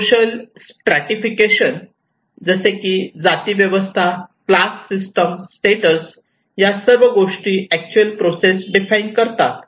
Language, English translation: Marathi, And social stratifications like caste system, class system, the status that all actually define this process